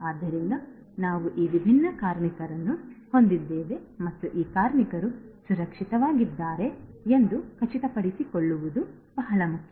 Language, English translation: Kannada, So, we have these different workers and it is very important to ensure that these workers are safe and they are secured right